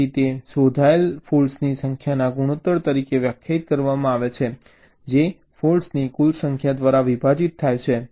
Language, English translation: Gujarati, so it is defined as the ratio number of detected faults divide by the total number of faults